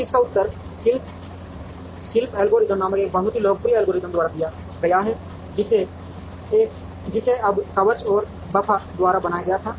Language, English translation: Hindi, Now, that is answered by a very popular algorithm called the craft algorithm, now which was created by Armour and Buffa